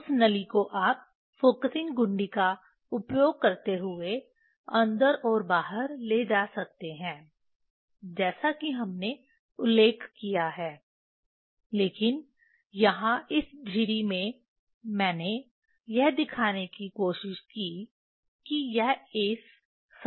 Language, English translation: Hindi, That tube you can take in and out using the focusing using the focusing knob as we mentioned, but this slit here I tried to show that it is on in this plane it is in this plane